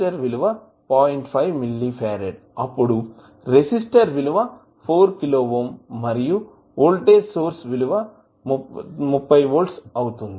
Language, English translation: Telugu, 5 milli farad then this value is 4 kilo ohm and voltage is plus minus that is 30 volts